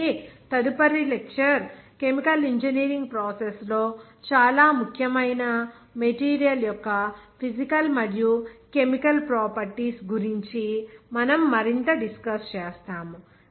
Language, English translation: Telugu, So, next lecture, we will discuss something more about those physical and chemical properties of the material which are very important in the chemical engineering process